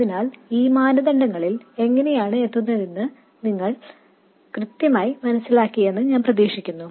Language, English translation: Malayalam, So, I hope you understand exactly how these criteria are arrived at